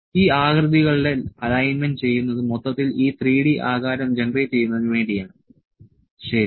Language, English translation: Malayalam, The alignment of these shapes can be done to generate the overall this 3D shape, ok